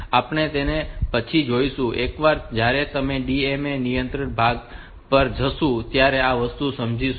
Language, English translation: Gujarati, So, we will see that later once we go to the DMA controller part so then will explain this thing